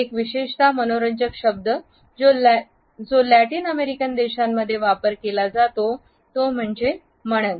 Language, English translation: Marathi, A particularly interesting word which is used in Latin American countries is Manana